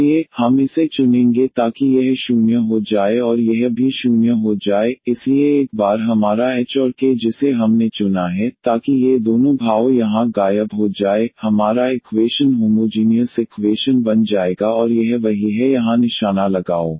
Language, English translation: Hindi, So, once our h and k we have chosen, so that these two expressions vanishes here our equation will become as the homogeneous equation and that is the that is the aim here